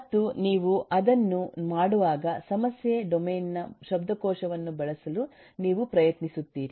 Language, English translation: Kannada, and while you do that, we try to use the vocabulary of the domain, that is, the vocabulary of the problem